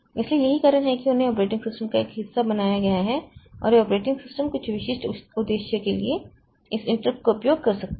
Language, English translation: Hindi, So, that is why they are made part of the operating system and this operating system may be using this interrupt for some specific purpose